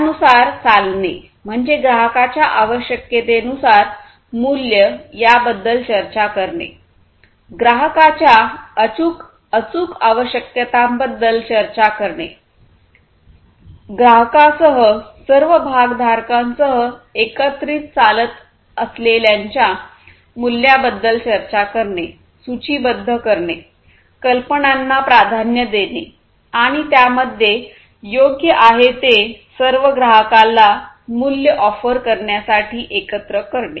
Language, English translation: Marathi, Walking it, that means, discuss the value, value in terms of the customer requirements, precise customer requirements, discussing the value of those walking together, walking together with all stakeholders walking together with the customer and so on, listing and prioritizing ideas and doing everything together is what is desirable in terms of offering the value to the customer